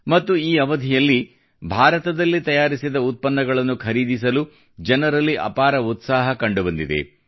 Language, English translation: Kannada, And during this period, tremendous enthusiasm was seen among the people in buying products Made in India